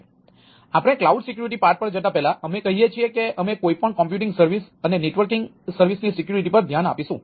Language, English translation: Gujarati, so, before going to the cloud security part, say, we will see security in general for any computing service, computing and networking service